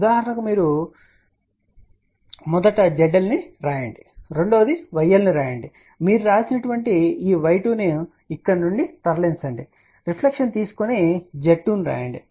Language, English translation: Telugu, For example, number 1 you write Z L; number 2 write y L, you are moving this write y 2 from here you have taken a reflection write Z 2